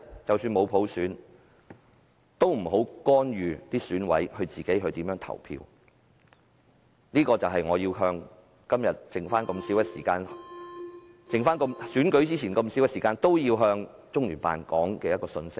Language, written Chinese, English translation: Cantonese, 即使沒有普選，但也請不要干預選委如何投票，而這正是現在距離選舉的時間無多，但我依然要向中聯辦表達的信息。, Even if there is no universal suffrage please do not interfere in EC members voting decision . Though there is no much time left before the election I still want to get this message across to LOCPG